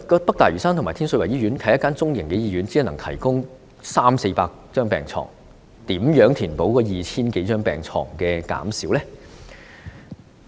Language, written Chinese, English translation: Cantonese, 北大嶼山醫院和天水圍醫院均是中型醫院，只能夠提供三四百張病床，如何填補減少的 2,000 多張病床呢？, The North Lantau Hospital and the Tin Shui Wai Hospital are medium - sized hospitals which can only provide 300 to 400 beds . How can they make up for the 2 000 - odd beds which were cut previously?